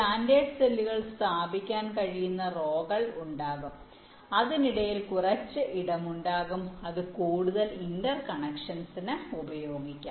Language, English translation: Malayalam, ok, there will be number of rows in which the standard cells can be placed and there will be some space in between which can be used further interconnections